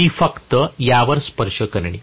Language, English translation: Marathi, I will just touch upon this